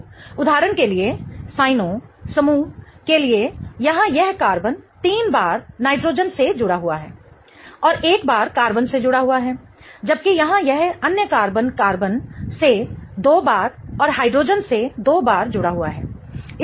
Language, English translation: Hindi, So, for example, this carbon here for cyanogne is attached three times to the nitrogen and once to the carbon, whereas this other carbon here is attached to two times to the carbons and two times to the hydrogen